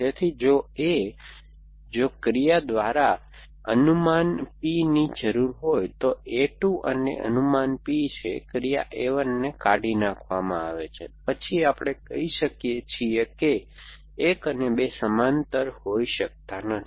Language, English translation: Gujarati, So, if a, if a predicate P is required by action a 2 and predicate P is being deleted by action a 1, then we say that a 1 and a 2 cannot be parallel